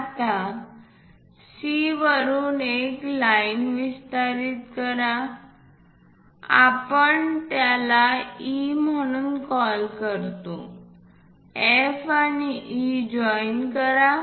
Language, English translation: Marathi, Now, from C extend a line it goes call this one as E; join F and E